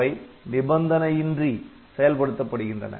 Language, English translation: Tamil, So, they are executed unconditionally